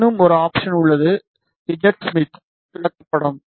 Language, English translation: Tamil, There is one more options z Smith chart